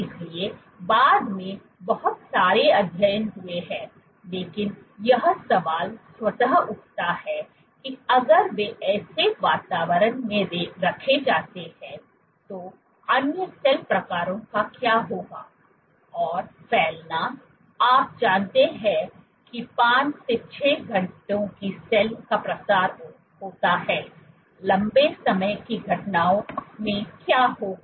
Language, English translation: Hindi, So, subsequently there have been lot of studies, but the question automatically arose that what would happen to other cell types if they were placed in such environments, and spreading is of the order of a you know 5 – 6 hours cell spread what would happen to longer time events